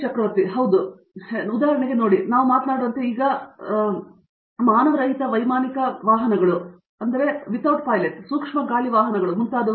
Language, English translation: Kannada, Yeah, very much, very much because see for example, as we speak we are now beginning to see emergence of for example, unmanned aerial vehicles, micro air vehicles and so on